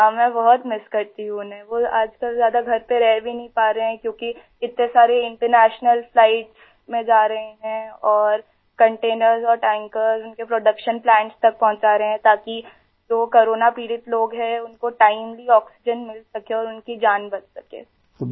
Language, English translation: Hindi, Now a days he is not able to stay home much as he is going on so many international flights and delivering containers and tankers to production plants so that the people suffering from corona can get oxygen timely and their lives can be saved